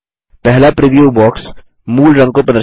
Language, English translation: Hindi, The first preview box displays the original color